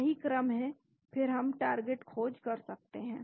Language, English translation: Hindi, This is the sequence and then we can search for templates